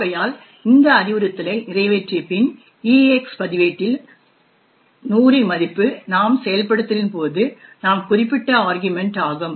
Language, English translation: Tamil, Therefore, after execution of this instruction the EAX register contains the value of 100 which is the argument that we specified during our execution over here